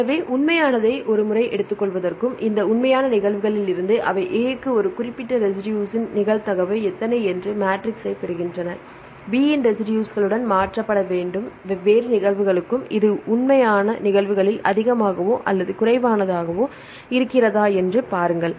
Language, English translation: Tamil, So, to take the real once and from this real cases they derive the matrices how many what is the probability of a specific residue to A; to be mutated to the residues B, right see if it is high or low in the real cases right for the different organisms